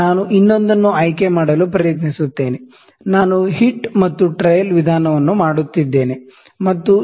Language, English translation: Kannada, Let me try to pick some, I am just doing hit and trial method let me try to pick 0